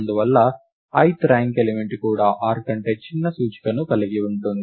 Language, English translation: Telugu, And therefore, the ith ranked element would also have an index smaller than r